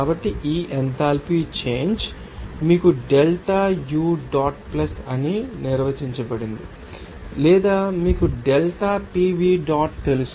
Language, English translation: Telugu, So, this enthalpy change will be you know defined as delta U dot plus or you know delta PV dot